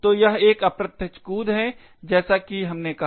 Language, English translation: Hindi, So, it has an indirect jump as we said